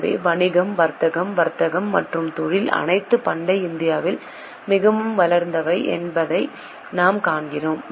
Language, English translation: Tamil, So, we do see that business, trade, commerce and industry all were highly developed in ancient India